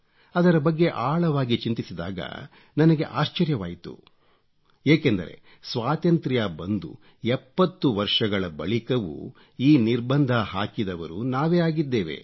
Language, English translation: Kannada, And when I went into the depth of the matter I was surprised to find that even after seventy years of our independence, we were the ones who had imposed these restrictions